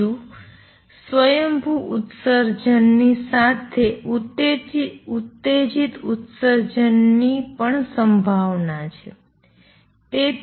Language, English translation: Gujarati, Two along with spontaneous emission there is a possibility of stimulated emission also